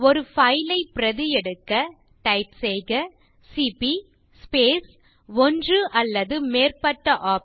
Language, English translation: Tamil, To copy a single file we type cp space one or more of the [OPTION]..